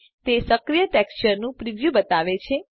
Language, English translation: Gujarati, It shows the preview of the active texture